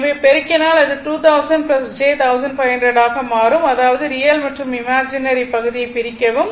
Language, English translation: Tamil, Therefore, if you multiply it will become 2 thousand plus j 15 100 right so; that means, separate real and imaginary part